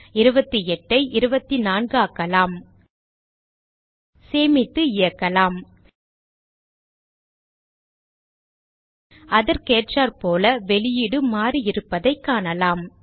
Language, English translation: Tamil, change 28 to 24 Save and Run We see that the output has changed accordingly